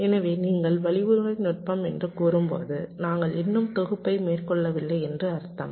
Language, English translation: Tamil, so when you say algorithmic technique, it means that we have possibly not yet carried out the synthesis